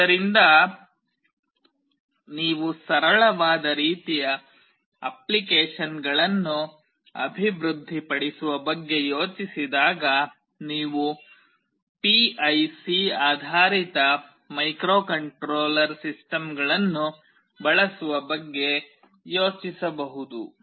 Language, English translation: Kannada, So, when you think of the developing very simple kind of applications, you can think of using PIC based microcontroller systems